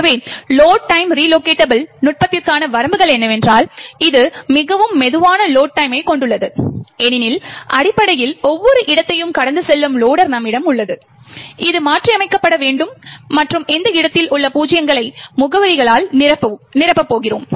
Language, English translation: Tamil, So, the limitations for the Load Time relocatable technique is that it has extremely slow Load time, since, essentially we have the loader which passes through each and every location which needs to be modified and fills and replaces the zeros in that location with the actual address